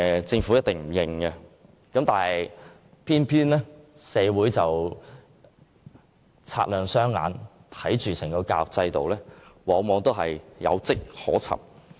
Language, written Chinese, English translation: Cantonese, 政府一定不承認這一點，但社會人士雙眼雪亮，眼見整個教育制度往往有跡可尋。, The Government will certainly deny this . However the community is discerning . They can see traces of changes in our education system